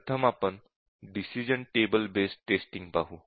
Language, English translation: Marathi, First, let us look at the decision table based technique